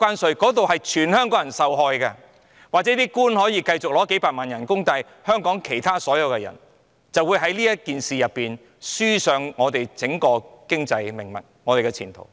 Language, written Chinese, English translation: Cantonese, 儘管如此，官員也許仍可以繼續領取幾百萬元的工資，但香港其他所有人便會就此輸掉香港的整體經濟命脈及前途了。, Regardless of this government officials may still be able to keep earning a salary of millions of dollars while the rest of us will have to suffer the loss of the mainstay of our economy and our prospect altogether as a result